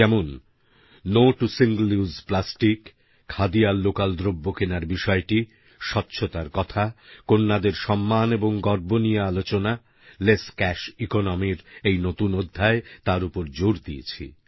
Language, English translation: Bengali, Just as, 'No to single use plastic', buying Khadi or 'local', sanitation & cleanliness, respect & honour for the girl child, or emphasizing on the new aspect of 'less cash economy'